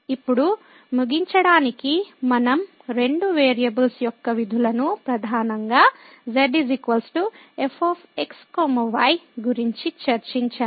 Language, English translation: Telugu, So, now to conclude, so we have discussed the functions of two variables mainly Z is equal to